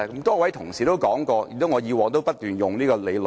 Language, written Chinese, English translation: Cantonese, 多位同事也說過，我以往也不斷套用這理論。, A number of Members have mentioned an argument which I have also applied many times before